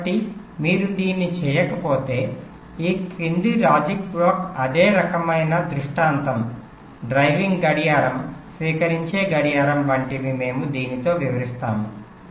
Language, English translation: Telugu, so if you do not do it, then the following logic block, like a same kind of scenario: driving clock, receiving clock